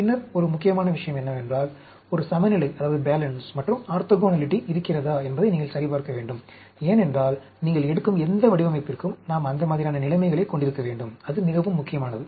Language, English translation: Tamil, Then, one important point is, you need to crosscheck whether there is a balance and orthogonality taking place, because any design you take, we need to have that sort of conditions; that is very important